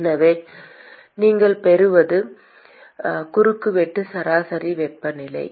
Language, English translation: Tamil, So, what you will get is a cross sectional average temperature